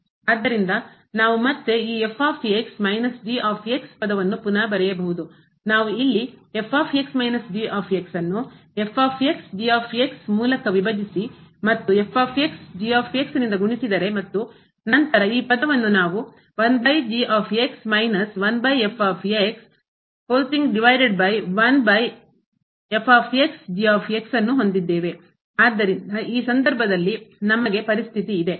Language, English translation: Kannada, So, we can again the rewrite this minus term; if we divide here minus by into and multiply by into and then this term here we have the over and minus over and multiplied by this over